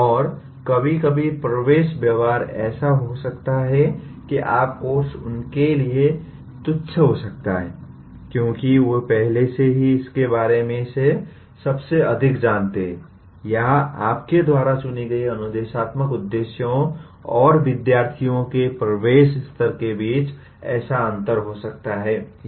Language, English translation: Hindi, And sometimes the entering behavior may be such that your course may become trivial for the, because they already know most of it, or there may be such a gap between the instructional objectives that you have chosen and the entering level of the students